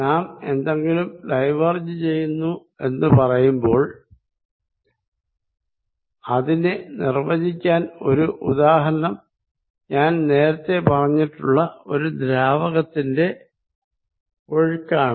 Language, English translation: Malayalam, When we say something as diverging an example to define it would be a fluid flow which I talked about earlier